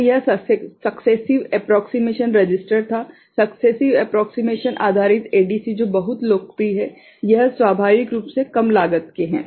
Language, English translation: Hindi, So, that was successive approximation register successive approximation based ADC which is very popular, it is inherently low cost